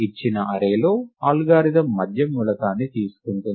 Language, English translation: Telugu, The algorithm takes a middle element in the given array